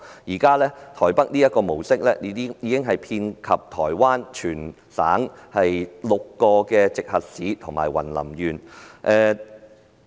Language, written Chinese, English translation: Cantonese, 現時，台北這個模式已遍及全台灣6個直轄市及雲林縣。, This service model adopted in Taipei City has already extended to six Special Municipalities and Yunlin County of Taiwan